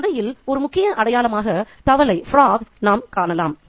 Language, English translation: Tamil, We can see the frog itself as a key symbol in the story